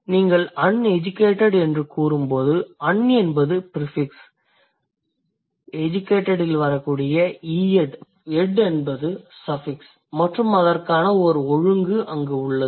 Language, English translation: Tamil, When you say uneducated, so, un is the prefix, ed is the suffix and there is the order for it